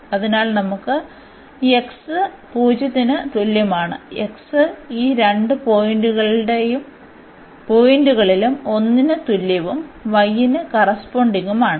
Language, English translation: Malayalam, So, we will get x is equal to 0 and x is equal to 1 these two points and corresponding y of course, we can easily get